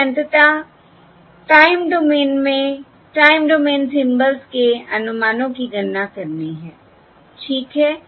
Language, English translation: Hindi, We have to ultimately compute the estimates of the time domain symbols in the time domain, okay